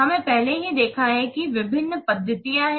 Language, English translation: Hindi, We have already seen that various methodologies are there